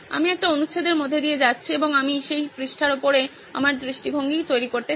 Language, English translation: Bengali, I go through a paragraph and I would want to make my point of view on top of that page